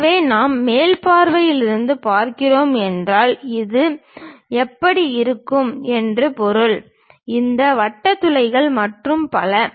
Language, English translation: Tamil, So, if we are looking from top view, this is the object how it looks like; these circular holes and so on